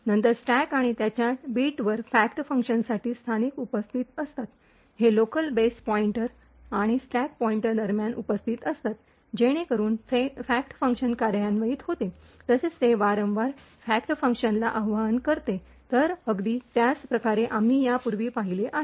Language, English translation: Marathi, The locals for the fact function are then present on the stack and its bit, these locals are present between the base pointer and the stack pointer, so as the fact function executes it will recursively invoke the fact function, so in a very similar way as we have seen before